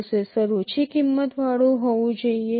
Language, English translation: Gujarati, The processor should be a low cost thing